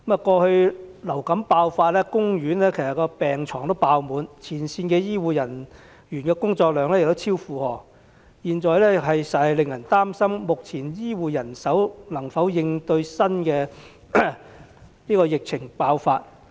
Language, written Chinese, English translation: Cantonese, 過去流感爆發期間，公營醫院的病床爆滿，前線醫護人員的工作量超出負荷，實在令人擔心目前醫護人手能否應對新的疫情爆發。, During previous outbreaks of influenza there was an eruptive demand for hospital beds and frontline health care personnel were overloaded . It does give cause for concern as to whether the existing health care manpower can cope with a new epidemic outbreak